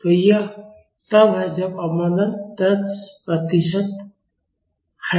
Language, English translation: Hindi, So, this is when damping is 10 percent